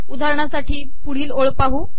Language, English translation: Marathi, For example, lets go to the next line